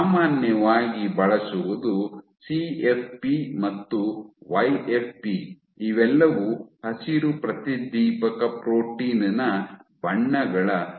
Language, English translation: Kannada, Generally, what is commonly used is CFP and YFP these are all variants these are color variants of green fluorescent protein